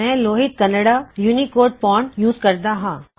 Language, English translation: Punjabi, Lohit Kannada is the UNICODE font that I am using